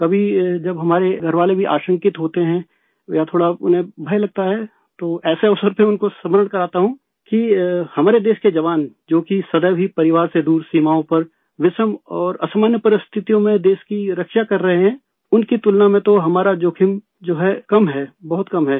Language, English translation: Hindi, Sometimes when our family members are apprehensive or even a little scared, on such an occasion, I remind them that the soldiers of our country on the borders who are always away from their families protecting the country in dire and extraordinary circumstances, compared to them whatever risk we undertake is less, is very less